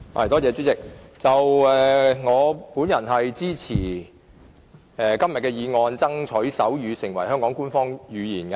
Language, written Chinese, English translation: Cantonese, 代理主席，我支持今天這項"爭取手語成為香港官方語言"的議案。, Deputy President I rise to express support for the motion on Striving to make sign language an official language of Hong Kong today